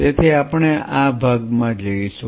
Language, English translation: Gujarati, So, we will into this part